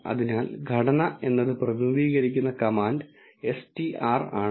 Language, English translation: Malayalam, So, structure is the command which is represented as str